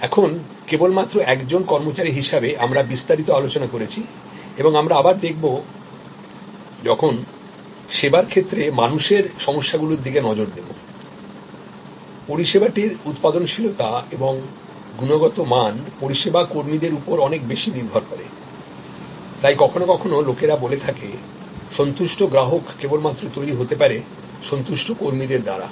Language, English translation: Bengali, Now, just as an employee we have discussed in detail and we will again when we look at people issues in service, the productivity and quality of service depends a lot on service personnel, that is why even sometimes people say satisfied customers can only be created by satisfied employees